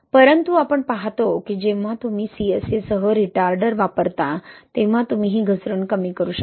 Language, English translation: Marathi, But we see that when you use a retarder, right the CSA with the retarder, you can reduce this slump loss, right